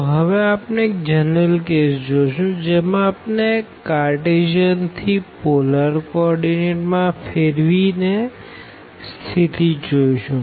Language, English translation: Gujarati, So, now, we will go for a more general case and this will be a particular situation when we go from Cartesian to polar coordinate